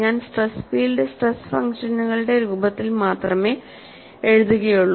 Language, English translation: Malayalam, And I would write the stress field in the form of stress functions only